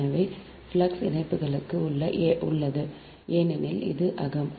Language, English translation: Tamil, so here also flux linkages because it is internal